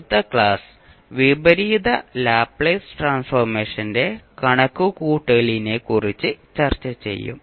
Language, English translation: Malayalam, And the next class we will discuss about the calculation of inverse Laplace transform thank you